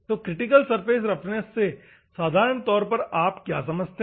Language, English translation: Hindi, So, critical surface roughness normally what do you mean by critical surface roughness